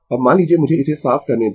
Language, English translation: Hindi, Now, suppose let me clear it